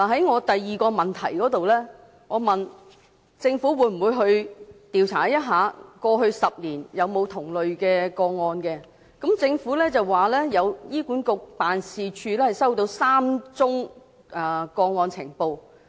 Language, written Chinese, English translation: Cantonese, 我在質詢的第二部分，問政府會否調查過去10年有否出現同類的個案，政府表示醫管局總辦事處收到3宗個案呈報。, In part 2 of my main question I have asked the Government whether it would conduct investigation to ascertain whether there were similar cases in the past 10 years . The Government responded that HA Head Office received a total of three reported cases